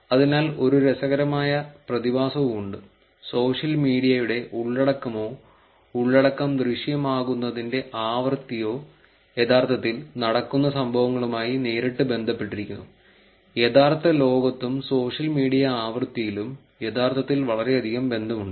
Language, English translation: Malayalam, So, there is also this interesting phenomenon where you will actually see that the real world, that the content or the frequency of appearance of social media content is actually directly related to the events that are happening in real world; in real world and the social media frequency are actually very much correlated